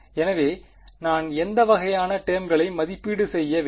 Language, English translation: Tamil, So, what kind of terms do I have to evaluate